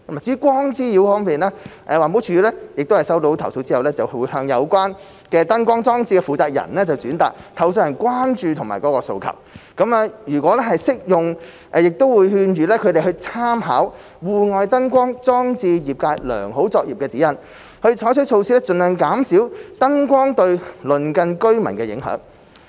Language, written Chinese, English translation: Cantonese, 至於光滋擾方面，環保署在收到投訴後，會向有關燈光裝置的負責人轉達投訴人的關注及訴求；如適用亦會勸諭他們參考《戶外燈光裝置業界良好作業指引》，採取措施盡量減少燈光對鄰近居民的影響。, As for light nuisance upon receipt of complaints EPD will relay the complainants concerns and requests to the persons responsible for the lighting installations in question; and if applicable advise them to refer to the Guidelines on Industry Best Practices for External Lighting Installations and take appropriate measures to minimize the impact of the lighting installations on the residents in the vicinity